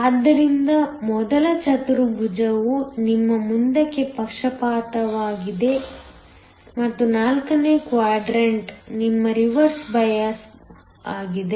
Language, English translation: Kannada, So, the first quadrant is your forward bias and the fourth quadrant is your reverse bias